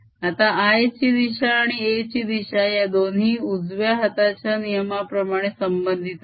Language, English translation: Marathi, now l direction and direction of are related by the right hand convention